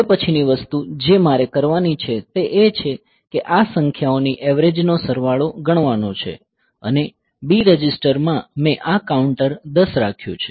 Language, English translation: Gujarati, The next thing that I have to do is to compute the sum of the average of these numbers and in the B register I already have a kept this account 10 ok